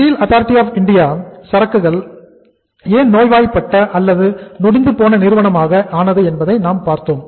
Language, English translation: Tamil, We saw that why the Steel Authority of India became a sick company